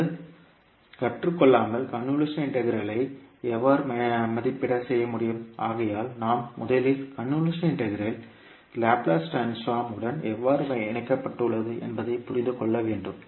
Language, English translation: Tamil, Now before learning how we can evaluate the convolution integral, let us first understand how the convolution integral is linked with the Laplace transform